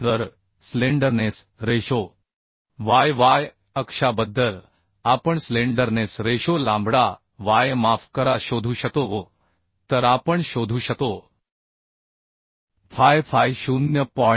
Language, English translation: Marathi, 3968 So the slenderness ratio about y y axis we can find out not slenderness ratio lambda y sorry Then we can find out phi phi as 0